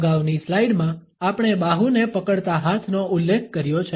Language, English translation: Gujarati, In the previous slide we have referred to a hand gripping the arm